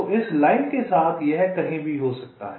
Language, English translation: Hindi, so this, along this line, it can be anywhere